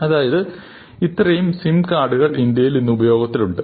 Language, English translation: Malayalam, So, this is the number of sim cards, which are in active use in India today